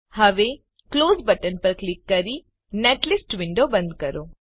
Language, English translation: Gujarati, Now close netlist window by clicking on Close button